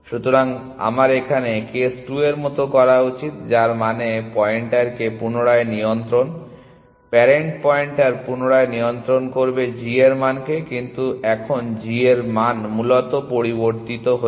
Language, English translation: Bengali, So, actually I should do like this then like case 2 which means readjust the pointer, parent pointer readjust g value, but now the g value has changed essentially